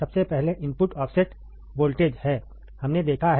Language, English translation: Hindi, First, is input offset voltage, we have seen, right